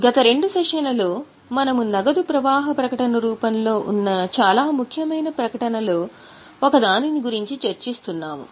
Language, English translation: Telugu, In last two sessions, we have been in the very important statements that is in the form of cash flow statement